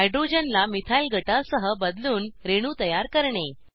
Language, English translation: Marathi, * Build molecules by substituting hydrogen with a Methyl group